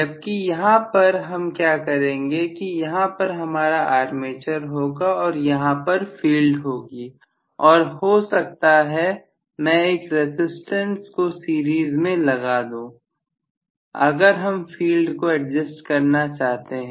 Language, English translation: Hindi, Whereas here what I am going to do is here is my armature and here is the field and probably I will include a resistance in series if I want to adjust the field